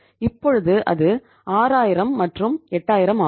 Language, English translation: Tamil, Now it is 6000 and 8000